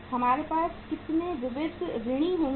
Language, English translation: Hindi, How much sundry debtors we will have